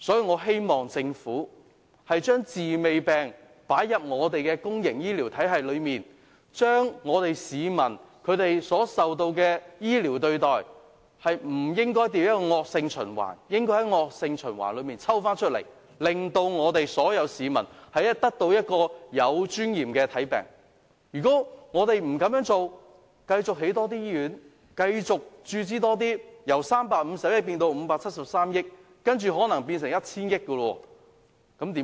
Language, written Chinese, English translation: Cantonese, 我希望政府把"治未病"的概念用於公營醫療體系上，市民所遭受的醫療對待不應變成惡性循環，而應從惡性循環中抽出來，令所有市民能有尊嚴地獲得醫治，否則，即使政府繼續興建醫院或投入資源，由350億元增至573億元，接着可能又要增至 1,000 億元，那怎麼辦？, I hope that the Government will adopt the concept of preventive treatment of disease in the public health care system so that a vicious cycle will not be formed for people receiving medical treatments . We should break the vicious cycle so that all members of the public can receive medical treatment in a dignified manner . Otherwise even if the Government builds more hospitals or allocates more resources by increasing the expenditure from 35 billion to 57.3 billion or even to 100 billion will the problem be solved?